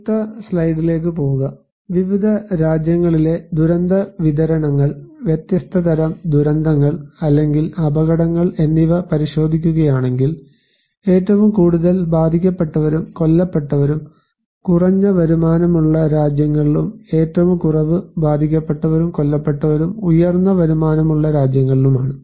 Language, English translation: Malayalam, Go to next slide; if you look into the disaster distributions, different kind of disasters or hazards in different countries, the most affected people and killed are in low income countries and the least the high income countries